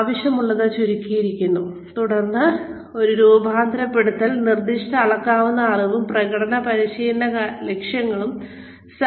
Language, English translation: Malayalam, Then, one formulate, specific measurable knowledge and performance training objectives